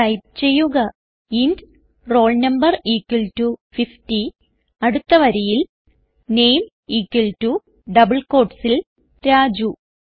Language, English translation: Malayalam, So type,int roll no equal to 50 next line string name equal to within double quotes Raju